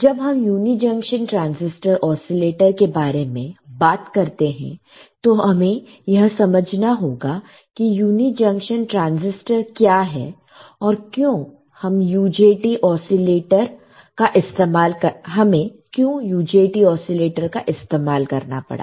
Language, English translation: Hindi, So, when we talk about UJT oscillators, we have to understand; what are uni junction transistors and why we had to use UJT oscillators